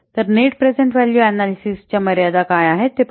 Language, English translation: Marathi, So let's see what are the limitations of net present value analysis